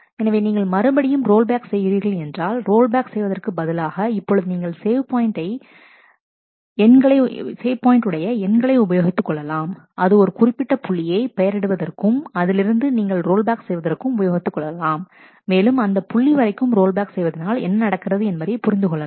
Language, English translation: Tamil, So, you are again if you are doing a rollback, then you instead of just doing rollback, you now use the save point ID that you had used in naming that particular point up to which you want to roll back and, do a rollback and that will happen only up to that point